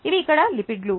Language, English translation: Telugu, these are the lipids here